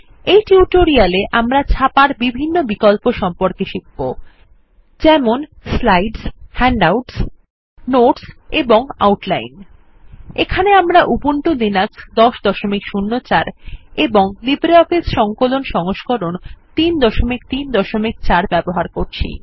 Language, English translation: Bengali, In this tutorial we will learn about the various options for printing Slides Handouts Notes and Outline Here we are using Ubuntu Linux 10.04 and LibreOffice Suite version 3.3.4